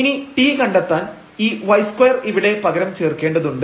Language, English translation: Malayalam, So, when we compute r, so we need to substitute y to 0 here